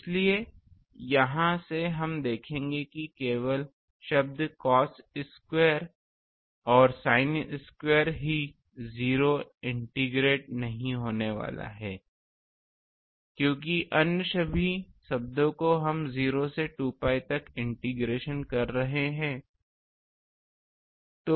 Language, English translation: Hindi, So, from here we will see that only terms that do not integrate to 0 are the cos square and sin square terms all other terms since we are having a 0 to 2 pi integration